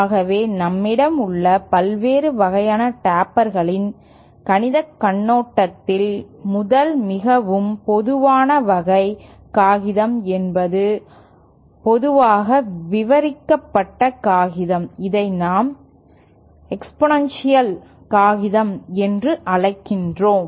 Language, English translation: Tamil, So the various kind of tapers that we have, the first most common type of paper from mathematical point of view the most commonly described paper is what we call exponential paper